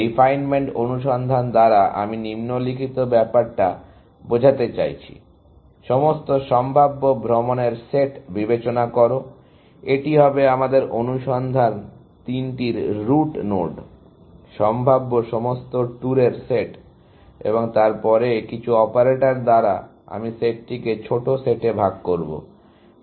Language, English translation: Bengali, By refinement search, I mean the following; that consider the set of all possible tours, that will be the root node of our search three, the set of all possible tours, and then by some operator, I will partition the set into smaller sets, essentially